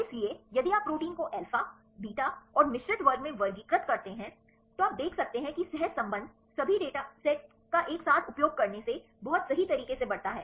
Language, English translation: Hindi, So, if you classify the proteins into alpha, beta and mixed class then you could see that that the correlation enhance right very significantly right from the using all the datasets together